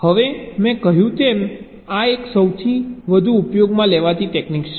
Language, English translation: Gujarati, now, as i said, this is one of the most widely used technique